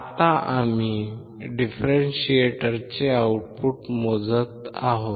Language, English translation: Marathi, Now, we are measuring the output of the differentiator